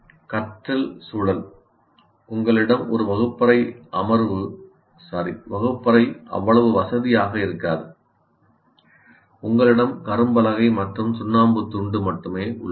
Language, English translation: Tamil, And once again, learning environment, you may have not so comfortable a classroom, only you have blackboard and chalk piece